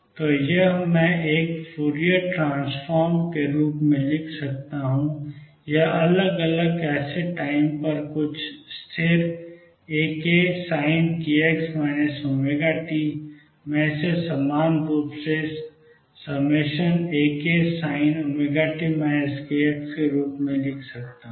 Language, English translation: Hindi, So, this I can write as a Fourier transform or sum over different case time some constant A k sin of k x minus omega t I could equally well write this as summation A k sign of omega t minus k x